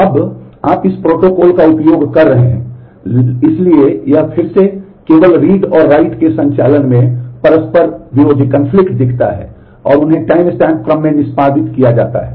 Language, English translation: Hindi, Now, using that you build up this protocol, so it is again looks only at conflicting read and write operations, and they are executed in timestamp order